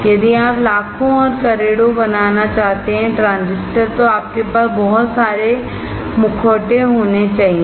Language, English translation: Hindi, If you want to fabricate millions and millions of transistors, you have to have lot of masks